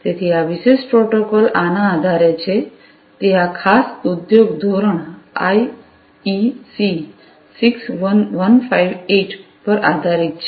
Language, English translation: Gujarati, So, this particular protocol is based on this; it is based on this particular industry standard, the IEC 61158